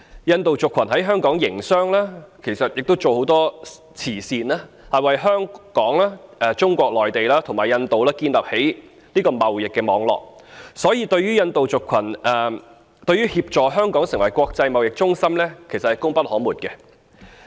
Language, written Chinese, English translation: Cantonese, 印度族群在香港營商，亦參與很多慈善事業，在香港、中國內地及印度之間建立起貿易網絡，因此印度族群對於協助香港成為國際貿易中心是功不可沒的。, Hong Kong owes no small measure of its development into an international trading centre to the backing of the Indian community which apart from doing business in Hong Kong and extensively participating in charitable causes has built a trading network between Hong Kong Mainland China and India